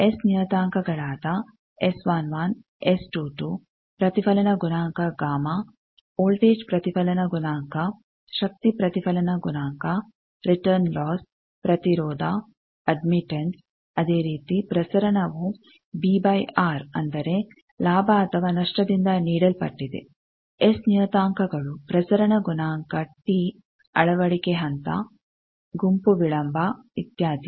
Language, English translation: Kannada, We have seen that the reflection coefficient and VSWR there quite related s parameters is 1 s to 2 reflection coefficient gamma voltage reflection coefficient power reflection coefficient return loss impedance admittance similarly transmission is b by r that is given by gain or loss s parameters transmission coefficient t insertion phase group delay etcetera